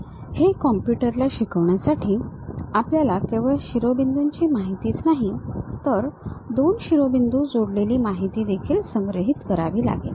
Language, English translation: Marathi, To teach it to the computer, we have to store not only that vertices information, but a information which are the two vertices connected with each other